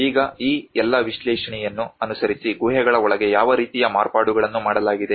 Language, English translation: Kannada, Now, inside the caves following all these analysis what kind of modifications has been done